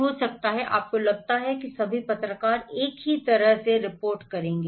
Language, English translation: Hindi, Maybe, do you think that all journalists will report the same way